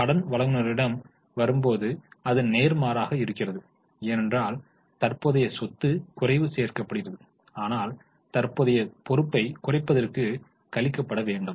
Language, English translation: Tamil, When it comes to creditors, it will be exactly opposite because for a current asset decrease is going to be added but for a current liability decrease will be deducted